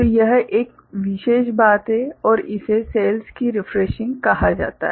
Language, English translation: Hindi, So, that is one particular thing and this is called refreshing of cells